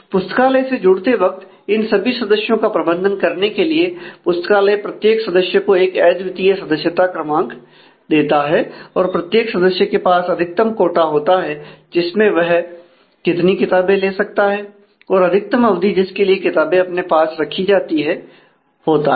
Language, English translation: Hindi, And the date of joining the library to manage these members library also issues a unique membership number to every member and every member has a maximum quota for the number of books that she or he can issue and the maximum duration for which those books can be retain once issued